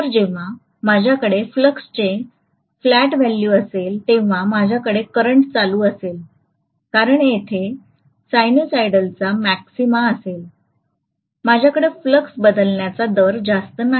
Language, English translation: Marathi, So I will have a peaking of current around this point when almost I am going to have flat value of flux because here the maxima of the sinusoid, I do not have much of rate of change of the flux